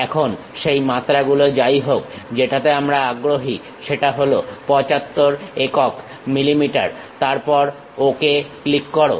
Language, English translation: Bengali, Now, whatever the dimensions we are interested in 75 units mm, then click Ok